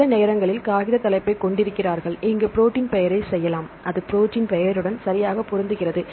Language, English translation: Tamil, Sometimes they have the paper title right somewhere we can have the protein name work for here it match the protein name right